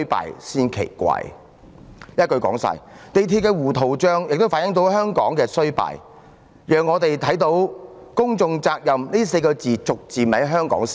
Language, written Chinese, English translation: Cantonese, 一言以蔽之，港鐵公司的糊塗帳亦反映了香港的衰敗，讓我們看到香港是越來越不重視"公眾責任"了。, Simply put the messy situation is also an illustration of the decline of Hong Kong . We can see that public responsibility is becoming less and less cherished in Hong Kong